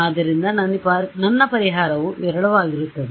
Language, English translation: Kannada, So, my solution will be sparse